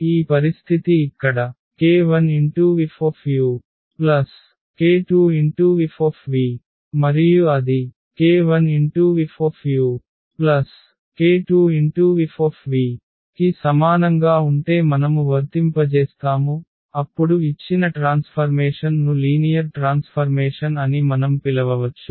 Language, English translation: Telugu, Once this condition here that k u plus k 2 v on this F and we apply if it is equal to k 1 F u and k 2 F v then we can call that the given transformation is a linear transformation